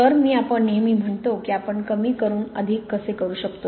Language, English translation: Marathi, So I, we always say how we can do more with less